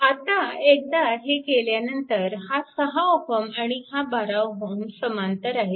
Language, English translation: Marathi, Now, once you have done this then this 6 ohm and 12 ohm both are in parallel